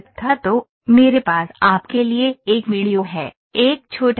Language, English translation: Hindi, So, I have a video for you here, a short video